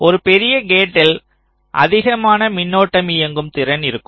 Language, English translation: Tamil, larger gate will have larger current driving capacity